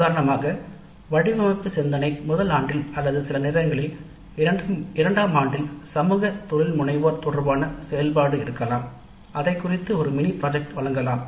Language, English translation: Tamil, Examples can be design thinking in first year or sometimes in second year or in first year there could be activity related to social entrepreneurship and we might offer a mini project in that area